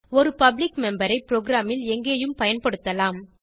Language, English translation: Tamil, A public member can be used anywhere in the program